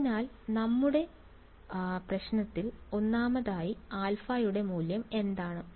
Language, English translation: Malayalam, So, first of all in our problem what is the value of alpha